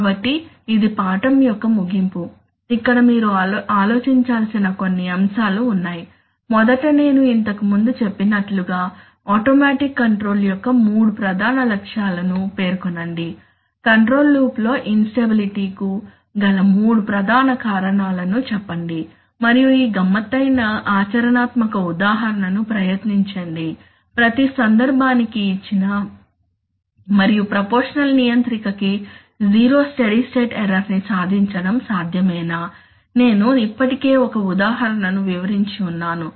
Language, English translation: Telugu, So that is the end of the lesson, let us here are some points for you to ponder, first is that state the three major objectives of automatic control which I have just now said, state three major cause of instability in a control loop and give, this is tricky try it given example for each case practical example and is it possible for a proportional controller to achieve zero steady state error I have already explained an example